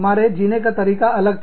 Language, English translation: Hindi, Our ways of living, were different